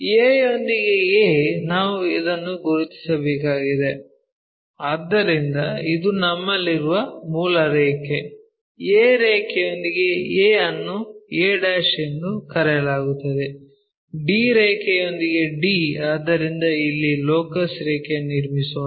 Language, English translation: Kannada, a with a we have to locate that, so this is the original line what we have, a with a line a' d with d line, so, let us draw again the locus line somewhere here